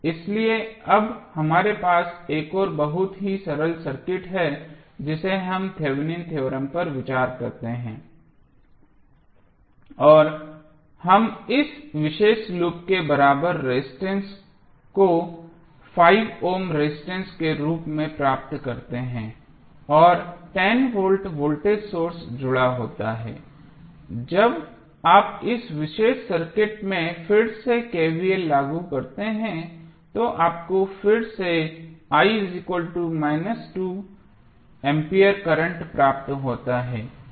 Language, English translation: Hindi, So, we have now very simple circuit when we consider the Thevenin theorem and we get the equivalent resistance of this particular loop as 5 ohm plus 10 ohm volt voltage source is connected when you apply again the KVL in this particular circuit you will get again current i x minus 2 ampere